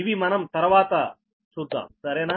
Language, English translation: Telugu, this we will see later